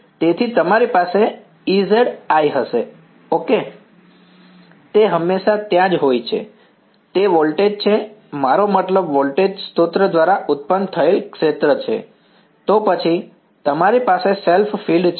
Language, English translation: Gujarati, So, you will have E z i ok, that is always there, that is the voltage I mean the field produced by the voltage source, then you have the self field right